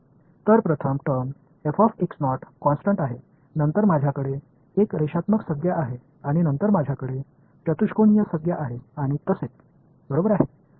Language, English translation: Marathi, So, the first term is constant f of x naught, then I have a linear term and then I have quadratic term and so on right and it is a infinite summation